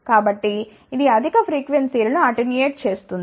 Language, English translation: Telugu, So, which will attenuate higher frequencies